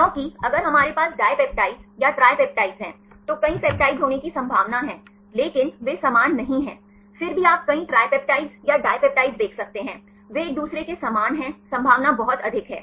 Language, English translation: Hindi, Because if we have a dipeptides or tripeptides, there is possibility of several pepetides, but they are not similar, even then you can see several tripeptides or dipeptides they are similar to each other, the possibility is very high